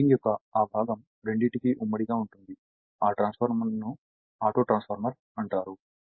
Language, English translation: Telugu, So, that part of the winding is common to both, the transformer is known as Autotransformer